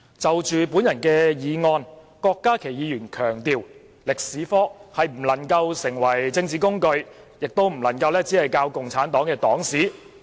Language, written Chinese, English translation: Cantonese, 就我的議案，郭議員強調中史科不能成為政治工具，亦不能只教授共產黨黨史。, When speaking on my motion Dr KWOK stressed that Chinese History can be made a political tool and we must not only teach the history of the Communist Party of China